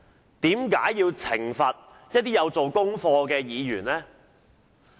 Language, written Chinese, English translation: Cantonese, 為何主席要懲罰一些願意做功課的議員呢？, Is this arrangement fair? . Why must the President punish Members who are willing to do their homework?